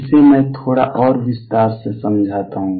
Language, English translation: Hindi, Let me explain this little more in details